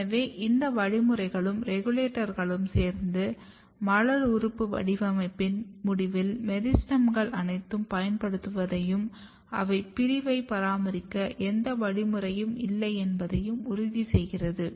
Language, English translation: Tamil, So, this complex mechanism all this regulators together ensures that, at the end of floral organ patterning the meristems are getting consumed up and there is no mechanism to maintain the dividing cells